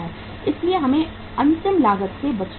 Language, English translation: Hindi, So we should avoid the last cost also